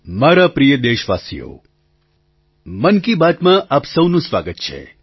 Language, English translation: Gujarati, My dear countrymen, welcome to 'Mann Ki Baat'